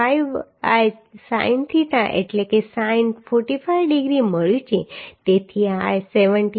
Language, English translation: Gujarati, 5 by sin theta is sin 45 degree so this is coming 17